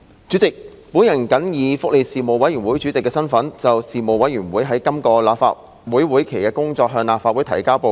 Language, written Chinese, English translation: Cantonese, 主席，我謹以福利事務委員會主席的身份，就事務委員會在今個立法會會期的工作，向立法會提交報告。, President in my capacity as the Chairman of the Panel on Welfare Services the Panel I now submit to the Legislative Council the report of the Panel for the current legislative session